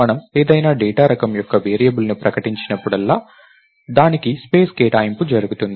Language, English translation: Telugu, So, whenever we declare a variable of any data type, there is allocation of space done to that